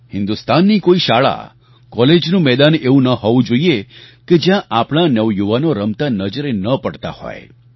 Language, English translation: Gujarati, There should not be a single schoolcollege ground in India where we will not see our youngsters at play